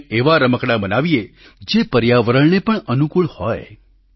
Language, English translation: Gujarati, Let us make toys which are favourable to the environment too